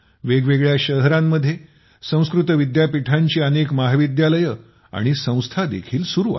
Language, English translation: Marathi, Many colleges and institutes of Sanskrit universities are also being run in different cities